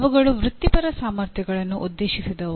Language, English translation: Kannada, They addressed the Professional Competencies